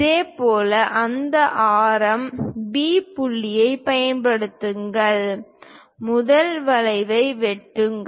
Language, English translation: Tamil, Similarly, use B point for the same radius; cut that first arc